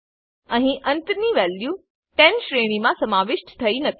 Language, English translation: Gujarati, Here the end value 10 is not included in the range